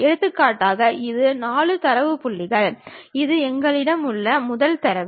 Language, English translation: Tamil, For example, this is the first data these are the 4 data points, we have